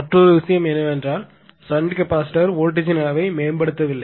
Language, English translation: Tamil, But otherwise that shnt capacitor also improves the your voltage level, so it also reduces the losses